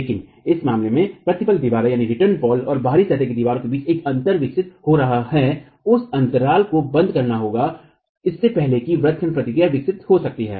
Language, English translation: Hindi, But in case there is a gap developing between the return walls and the out of plain wall, that gap has to be closed before the arching action can develop